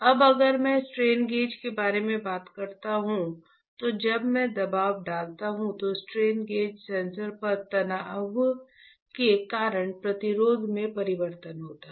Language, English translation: Hindi, Now, if I talk about the strain gauge, strain gauge when I apply a pressure there is change in the resistance, right because of the strain on the sensor